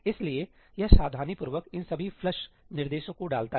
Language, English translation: Hindi, So, it carefully puts all these flush instructions